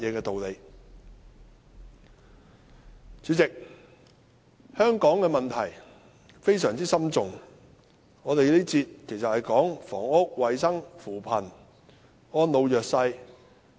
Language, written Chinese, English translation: Cantonese, 代理主席，香港有多項非常深重的問題，而我們這個環節討論的是房屋、衞生、扶貧和安老弱勢。, Deputy President there are many deep - rooted problems in Hong Kong . In this session we discuss housing health poverty alleviation and care for the elderly and the disadvantaged